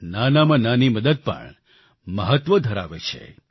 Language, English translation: Gujarati, Even the smallest help matters